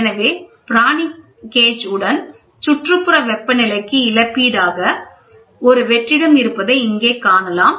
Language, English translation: Tamil, So, Pirani gauge with compensation to ambient temperature, you can see here a vacuum is there